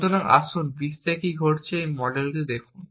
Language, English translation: Bengali, So, let us look at this model of what is happening in the world